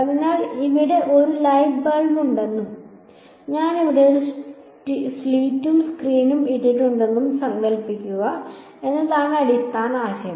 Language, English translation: Malayalam, So, I mean the basic idea there is supposing I have light bulb over here and I put a slit and a screen over here